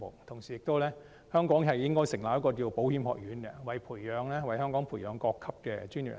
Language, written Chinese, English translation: Cantonese, 同時，香港應該成立一所保險學院，為香港培育各級專業人才。, At the same time an institute of insurance should be established in Hong Kong to nurture all levels of local professionals